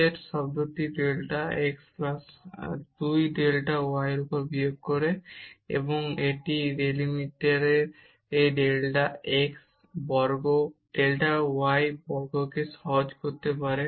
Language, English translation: Bengali, Minus this dz term delta x plus 2 delta y, and this one can simply simplify that delta x square delta y square in this denominator